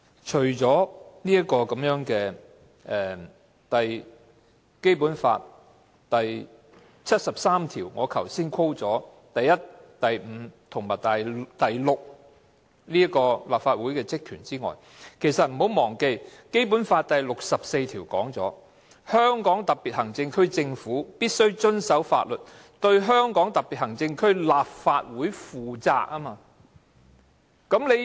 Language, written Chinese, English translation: Cantonese, 除了我剛才所引述《基本法》第七十三條第一、五及六項訂明的立法會職權外，大家不要忘記，《基本法》第六十四條亦訂明"香港特別行政區政府必須遵守法律，對香港特別行政區立法會負責"。, Besides the powers and functions of the Legislative Council specified in Article 731 5 and 6 of the Basic Law as I quoted a moment ago we shall not forget that Article 64 of the Basic Law also stipulates that the Government of the Hong Kong Special Administrative Region must abide by the law and be accountable to the Legislative Council of the Region